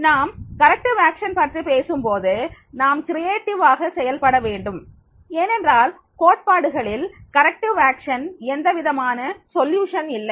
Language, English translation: Tamil, When we talk about the corrective action, then we have to be creative because there is no solution in theories for the corrective action is there